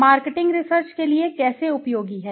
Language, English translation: Hindi, How marketing research is useful for companies